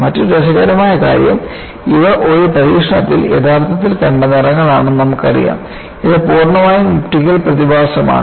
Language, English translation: Malayalam, And another interesting point is these are colors actually seen in an experiment, and it is purely an optical phenomenon